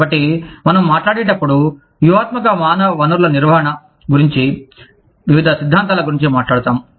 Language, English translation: Telugu, So, when we talk about, strategic human resources management, we talk about, various theories